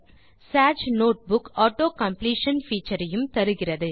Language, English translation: Tamil, Sage notebook also provides the feature for autocompletion